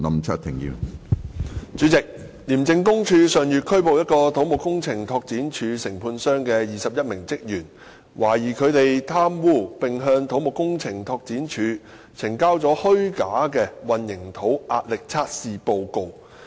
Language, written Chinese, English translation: Cantonese, 主席，廉政公署上月拘捕一個土木工程拓展署承判商的21名職員，懷疑他們貪污並向土木工程拓展署呈交了虛假的混凝土壓力測試報告。, President last month the Independent Commission Against Corruption arrested 21 staff members of a contractor of the Civil Engineering and Development Department CEDD who were suspected of corruption and having submitted fraudulent concrete compression test reports to CEDD